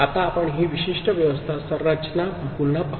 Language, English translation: Marathi, Now, we look at again, this particular arrangement, configuration